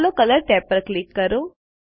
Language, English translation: Gujarati, Lets click on the Colors tab